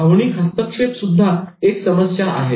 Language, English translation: Marathi, Emotional interference is a problem